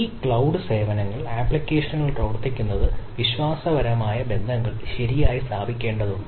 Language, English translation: Malayalam, so running the applications on those cloud services needs to establish trust relationships, right, so it is